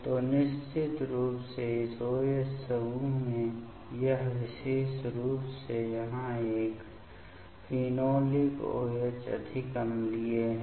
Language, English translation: Hindi, So, definitely this particular in this OH group here this is more acidic this phenolic OH